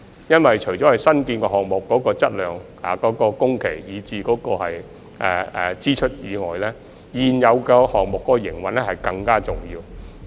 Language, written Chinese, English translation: Cantonese, 因為除新建項目的質量、工期及支出外，現有線路的營運更為重要。, In addition to the quality duration and cost of new construction projects the operation of existing lines is even more important